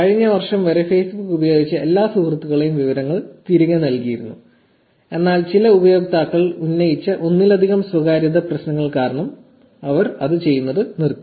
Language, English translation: Malayalam, Facebook did return the details of all the friends up until last year, but due to multiple privacy issues raised by some users, they stopped doing it